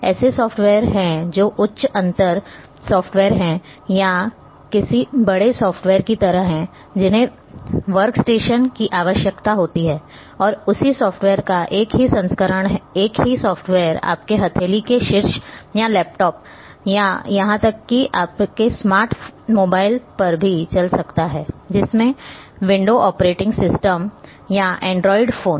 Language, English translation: Hindi, There are software which are high end software or sort of a big softwares which require workstation and the same software a stripped version of the same software can run on your palm top or laptop or even on your smart mobiles, having say window operating system or android as well